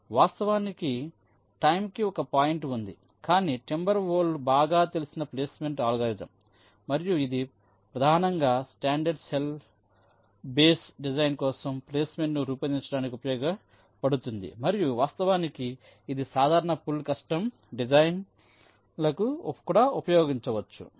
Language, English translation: Telugu, in fact, there was a pointing time, for timber wolf has the best known placement algorithm and it was mainly used for creating placement for standard cell base designs and of course, it can be used for general full custom designs also